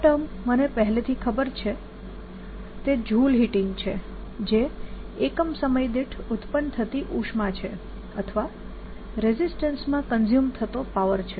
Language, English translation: Gujarati, this term i already know is joule heating, which is heat produced per unit time, or power consumed in the resistance